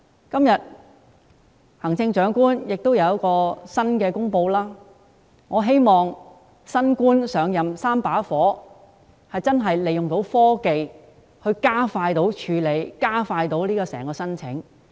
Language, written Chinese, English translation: Cantonese, 今天，行政長官有新的公布，我希望"新官上任三把火"，能夠利用科技加快處理申請。, Today the Chief Executive made some new announcements . As new official is always full of initiatives I hope that technologies will be used to speed up the application process